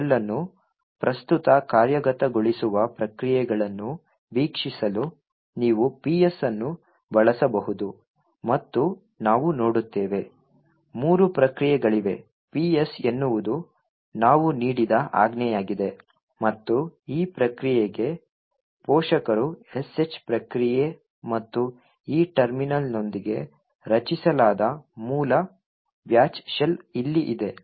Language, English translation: Kannada, So, this shell is the SH shell so we can do all the shell commands you can also look at PS that is the processes that are executing in this shell and we see that, infact, there are three processes, PS is the process that is the command that we have given and the parent for this process is the SH process and the original batch shell which was created with this terminal is present here